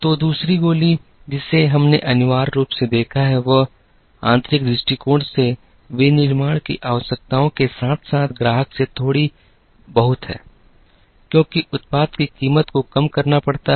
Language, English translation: Hindi, So, the second bullet that we have seen, essentially looks at requirements of manufacturing from an internal perspective as well as a little bit from the customer, because the price of the product has to be reduced